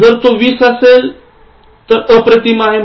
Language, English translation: Marathi, If it is 20, it is Outstanding